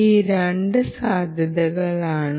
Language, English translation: Malayalam, these are the two possibilities